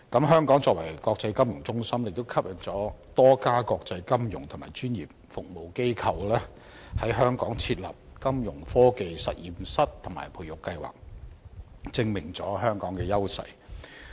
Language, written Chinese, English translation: Cantonese, 香港作為國際金融中心，亦吸引了多家國際金融及專業服務機構在香港設立金融科技實驗室和培育計劃，足證香港的優勢。, Being an international financial centre Hong Kong has attracted various international financial and professional organizations to set up Fintech laboratories and incubation programmes in Hong Kong thus proving Hong Kongs advantages